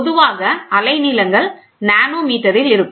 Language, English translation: Tamil, So, wavelengths are generally in nanometer